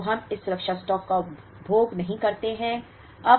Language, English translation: Hindi, And we will not consume this safety stock at all